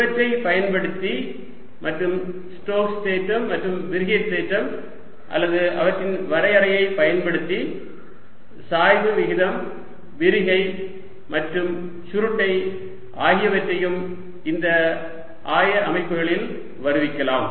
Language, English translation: Tamil, using these and using the stokes theorem and divergence theorem or their definition, we can derive the expressions for the gradient, divergence and curl also in these coordinate systems